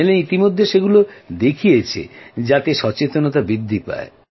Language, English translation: Bengali, The channels have also telecast them so awareness can be spread in people and…